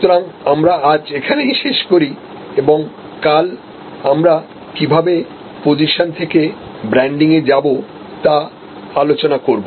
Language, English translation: Bengali, So, this is where we end today and tomorrow we will take up how from positioning we go to branding